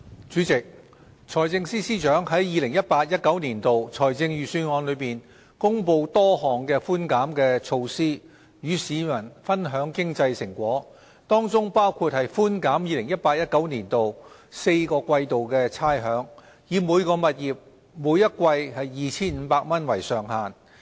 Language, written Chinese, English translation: Cantonese, 主席，財政司司長在 2018-2019 年度財政預算案中公布多項寬減措施，與市民分享經濟成果，當中包括寬減 2018-2019 年度4季差餉，以每個物業每季 2,500 元為上限。, President in the 2018 - 2019 Budget the Financial Secretary announced a number of concessionary measures to share the fruits of our economic success with the community including waiving rates for the four quarters of 2018 - 2019 subject to a ceiling of 2,500 per quarter for each property